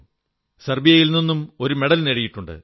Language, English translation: Malayalam, She has won a medal in Serbia too